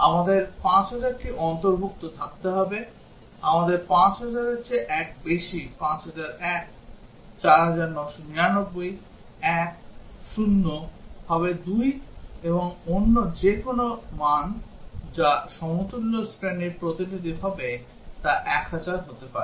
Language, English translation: Bengali, We will have to have 5000 included, we will have one exceeding 5000, 5001, 4999, 1, 0 two and any other value which would be a representative of the equivalence class may be 1000